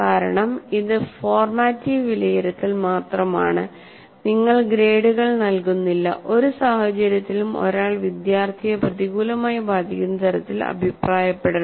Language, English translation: Malayalam, Under no circumstance, because it's only formative assessment, you are not giving grades, under no circumstance, one should negatively comment on the student